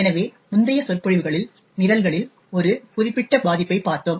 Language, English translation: Tamil, So, in the previous lectures we had actually looked at one particular vulnerability in programs